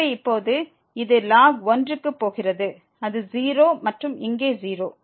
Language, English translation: Tamil, So, now, this is go going to that is 0 and here also 0